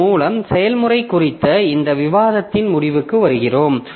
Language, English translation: Tamil, So with this we come to a conclusion of this discussion on process